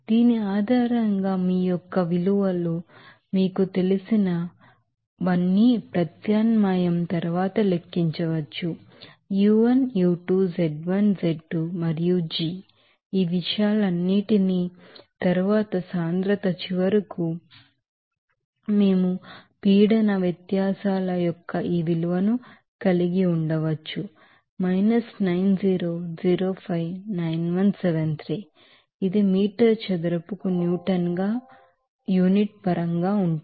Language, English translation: Telugu, So, based on this, we can calculate after substitution all you know values of u1, u2, z1, z2 and g all these things and then density finally, we can have this value of pressure differences, 90059173 this is in terms of unit as neutron per meter squared